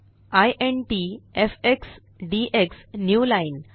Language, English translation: Marathi, int fx dx newline